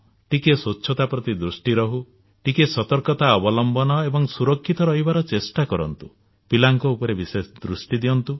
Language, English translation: Odia, Pay attention to cleanliness, be alert, try and be safe and take special care of children